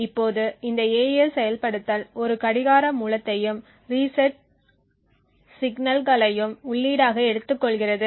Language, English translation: Tamil, Now this AES implementation also takes as input a clock source as well as a reset signal